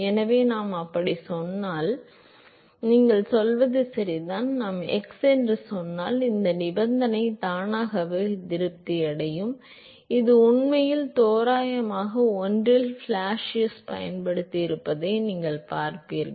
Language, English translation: Tamil, So, if I say that, your are indeed right and saying that if I simply say at all x this condition will automatically satisfy, which you will see has been actually used by Blasius in one of the approximations